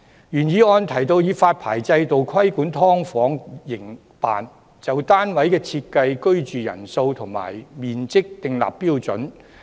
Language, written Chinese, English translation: Cantonese, 原議案提到以發牌制度規管"劏房"營辦，就單位的設施、居住人數和面積訂立標準。, The original motion proposes the establishment of a licensing system for regulating the operation of subdivided units and setting standards for the facilities number of occupants and area of units